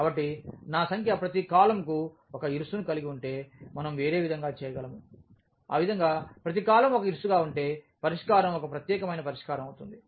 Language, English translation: Telugu, So, if the number of I mean each column has a pivot we can in other way we can put it as that if each column as a pivot in that case the solution will be a unique solution